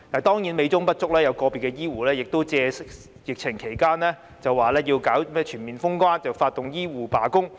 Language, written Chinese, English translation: Cantonese, 當然，美中不足的是有個別醫護人員在疫情期間為了令政府全面封關而發動醫護罷工。, Of course the only imperfection is that some healthcare workers had organized a strike among healthcare workers during the epidemic to make the Government implement a full border closure